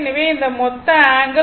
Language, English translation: Tamil, So, this is these angle this this total angle is 135 degree